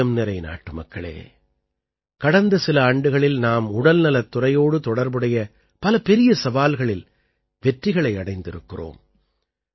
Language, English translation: Tamil, My dear countrymen, in the last few years we have overcome many major challenges related to the health sector